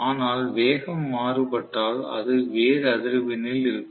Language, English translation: Tamil, But it will be at a different frequency, if the speed is different